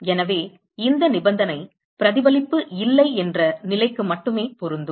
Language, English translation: Tamil, So, this condition is if there is no reflection